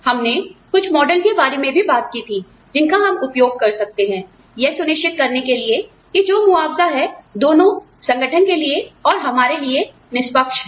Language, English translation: Hindi, We also talked about, some models, that we can use, to ensure that, the compensation is, seems fair, both to the organization, and to us